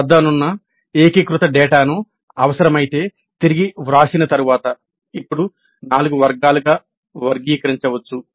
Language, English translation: Telugu, Then the consolidated data that we have can now after rewording if necessary can now be classified into four categories